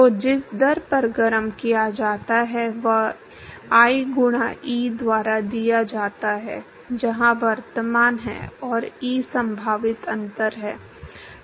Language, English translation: Hindi, So, the rate at which is heated is given by I times E where I is the current, and E is the potential difference